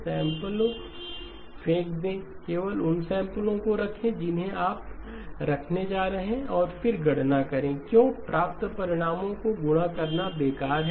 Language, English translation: Hindi, Throw the samples, only keep the samples that you are going to keep, and then do the computation, why waste multiplying obtaining results